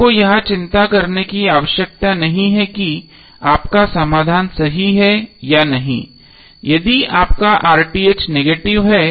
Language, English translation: Hindi, So you need not to worry whether your solution is correct or not if your RTh is negative